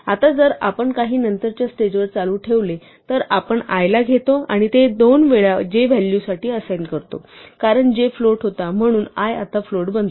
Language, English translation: Marathi, Now if we continue at some later stage we take i and assign it to the value 2 times j, since j was a float i now becomes float